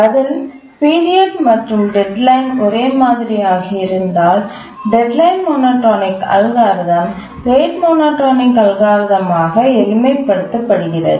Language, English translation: Tamil, With little thinking, we can say that if the period and deadline are the same, then of course the deadline monotonic algorithm it simplifies into the rate monotonic algorithm